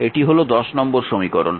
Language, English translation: Bengali, This is your equation 2